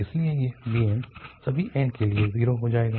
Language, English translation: Hindi, Therefore this bn's will be zero for all n